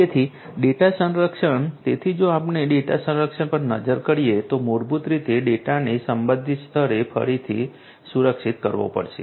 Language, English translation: Gujarati, So, data protection and so if we look at the data protection, then basically the data has to be protected at again the respective levels